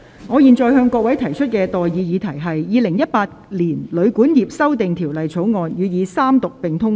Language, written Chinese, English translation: Cantonese, 我現在向各位提出的待議議題是：《2018年旅館業條例草案》予以三讀並通過。, I now propose the question to you and that is That the Hotel and Guesthouse Accommodation Amendment Bill 2018 be read the Third time and do pass